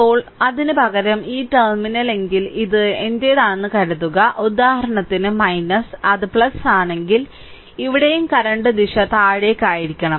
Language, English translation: Malayalam, Now, suppose instead of that suppose if this is my if this terminal for example, if it is minus, if it is plus right, then here also current direction should be downward